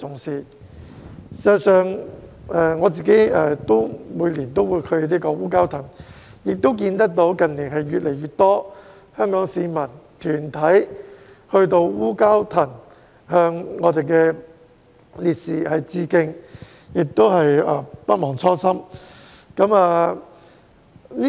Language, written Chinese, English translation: Cantonese, 事實上，我每年都會前往烏蛟騰，亦看到近年越來越多香港市民和團體到烏蛟騰向我們的烈士致敬，不忘初心。, In fact I visit Wu Kau Tang every year and in recent years I have seen an increasing number of Hong Kong people and organizations paying tribute to our martyrs at Wu Kau Tang never forgetting their original passion